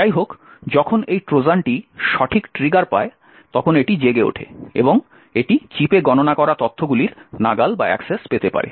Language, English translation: Bengali, However, when this Trojan gets the right trigger, then it wakes up and it could get access to the information that is getting computed in the chip